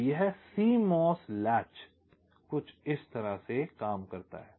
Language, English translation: Hindi, so this is how this cmos latch works